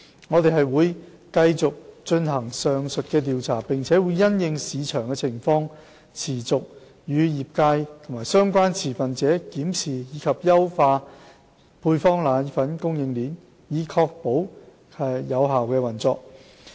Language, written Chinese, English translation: Cantonese, 我們會繼續進行上述調查，並會因應市場情況持續與業界及相關持份者檢視及優化配方粉供應鏈，以確保其有效運作。, We will continue to conduct the surveys . Also we will continue to keep in view and optimize the supply chain of powdered formulae with the trade and the relevant stakeholders to ensure its effective operation having regard to the market circumstances